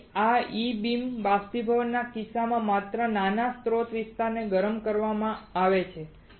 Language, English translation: Gujarati, So, in case of this E beam evaporation as only small source area is heated